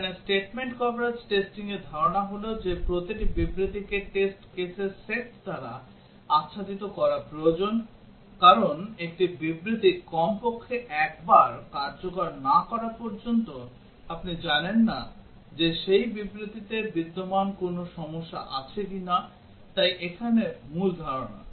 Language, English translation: Bengali, The idea here in the statement coverage testing is that every statement needs to be covered by the set of test cases, because unless a statement is executed at least once you do not know if there is a problem existing in that statement, so that is the main idea here